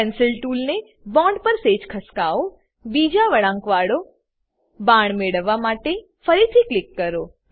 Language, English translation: Gujarati, Shift the Pencil tool a little on the bond, click again to get second curved arrow